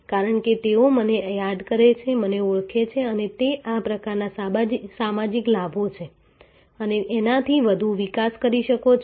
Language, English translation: Gujarati, Because, they remember me, recognize me and those are the kind of social benefits of course, you can develop this much further you can develop